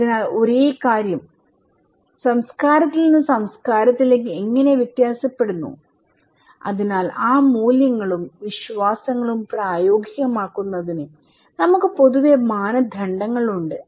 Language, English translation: Malayalam, So, how the same thing varies from culture to culture, so in order to put those values and beliefs into practice, we have generally norms